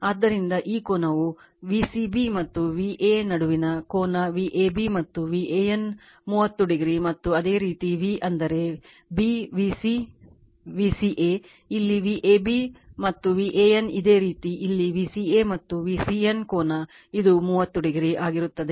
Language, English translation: Kannada, So, this angle that angle between your V c b right and this v look at V a your what you call V a b and V a n is thirty degree and similarly your V your what you call b V c, V c a right here it is V a b and V a n similarly here it is V c a and V c n angle your what you call will be 30 degree like this